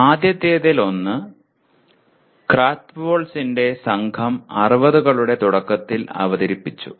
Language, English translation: Malayalam, One of the first ones was presented by Krathwohl’s group back in early ‘60s